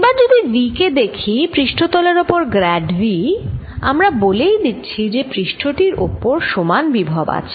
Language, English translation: Bengali, now if you look at v grad v over the surface, we are already saying that the surface has the same potential